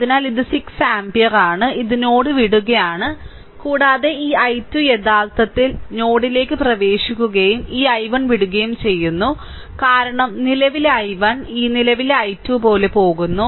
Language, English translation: Malayalam, So, this is 6 ampere, it is leaving the node and this i 2 is actually entering into the node and this i 1 is leaving because current i 1 goes like this current i 2 also goes like this, right goes like this right